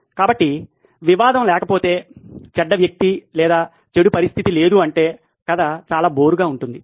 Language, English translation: Telugu, So if there is no conflict, there is no bad guy or bad situation, the story is pretty boring